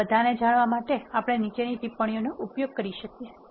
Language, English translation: Gujarati, We can use the following comments to know all of this